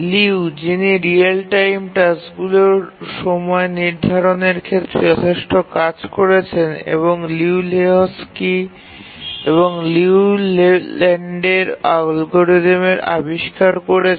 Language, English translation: Bengali, In the words of Liu, who is worked considerably in the area of scheduling real time tasks, the Liu, Lehochki, Liu, Leyland algorithms are all due to him